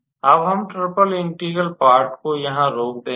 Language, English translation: Hindi, And we will stop our triple integral part here